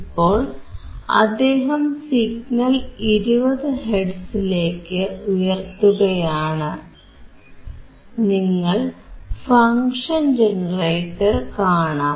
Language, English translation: Malayalam, So now, he is increasing to 20 hertz, you can see the function generator